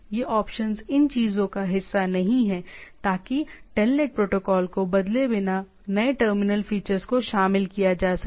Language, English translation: Hindi, This options are not a part of these things, so that new terminal features can be incorporated without changing the telnet protocol